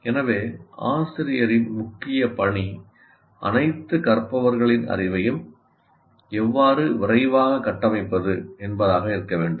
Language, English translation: Tamil, So the main task of the teacher should be how do I foster the construction of the knowledge of all learners